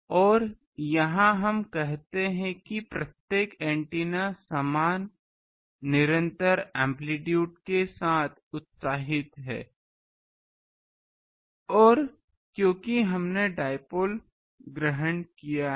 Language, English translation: Hindi, And here we say that each antenna is excited with same constant amplitude and since we have assumed dipole